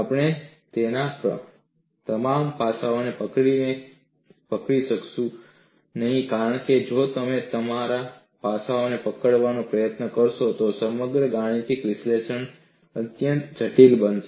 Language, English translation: Gujarati, We will not be able to capture all aspects of it, because if you try it to capture all aspects, then the whole mathematical analysis would become extremely complex